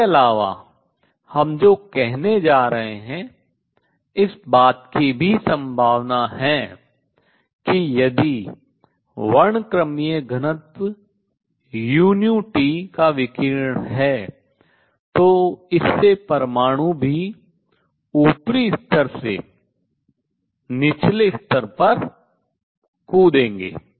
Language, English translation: Hindi, What we are also going to say in addition there is a possibility that if there is a radiation of spectral density u nu T this will also make atoms jump from upper level to lower level